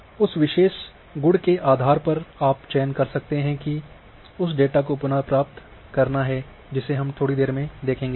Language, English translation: Hindi, Based on that particular attribute you can make the selection and it can retrieve the data which we will see it little later